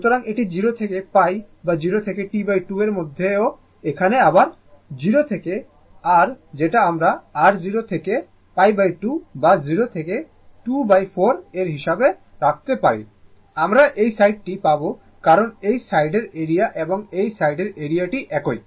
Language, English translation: Bengali, So, same you will get in between 0 to pi or 0 to T by 2 here also 0 to your what you call this is your 0 to pi by 2 or 0 to 2 by 4, this side will get because this this side area and this side area it is same